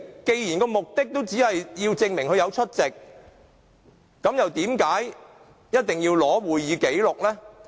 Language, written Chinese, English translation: Cantonese, 既然目的只是要證明梁國雄議員有出席會議，為何一定要索取會議紀錄呢？, Given the purpose is to prove Mr LEUNG Kwok - hungs attendance why must it seek copies of proceedings and minutes?